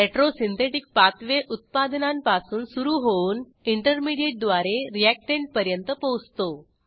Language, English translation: Marathi, Retrosynthetic pathway starts with the product and goes to the reactant along with all the intermediates